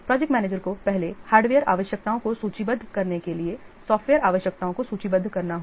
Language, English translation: Hindi, The project manager first he has to list the software requirements, just like listing the hardware requirements